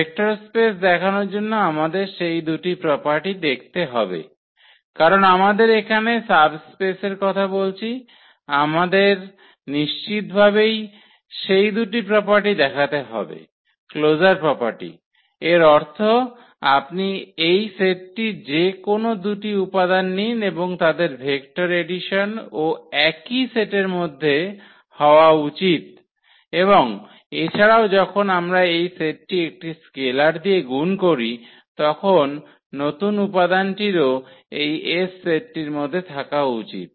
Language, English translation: Bengali, So, for showing the vector space we need to show those two properties because we are talking about the subspace here we need to absolutely show those two properties that closure properties; that means, you take any two elements of this set and their vector addition should also belong to the same set and also when we multiply this set by a number a scalar number that the new element should also belong to this set S